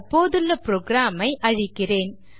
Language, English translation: Tamil, I will clear the current program